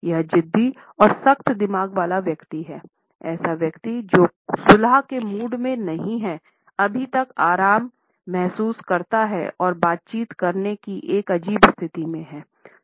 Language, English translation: Hindi, This person comes across is a stubborn and tough minded person; a person who is not in a mood to negotiate yet in the given situation feels strangely relaxed and wants to stay in this situation for a little while